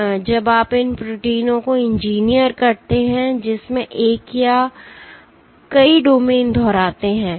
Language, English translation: Hindi, So, you have to engineer proteins which contain one or multiple domains repeating